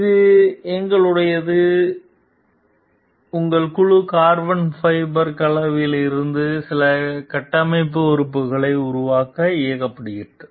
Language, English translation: Tamil, It is our, we got your team was directed to make some of the structural members out of carbon fiber composites